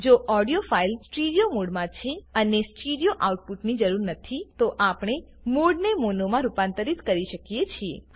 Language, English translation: Gujarati, If the audio file is in stereo mode and stereo output is not required, then one can convert the mode to mono